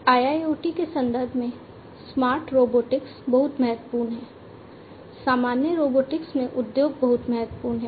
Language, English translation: Hindi, Smart robotics is very important in the context of IIoT industry industries in general robotics is very important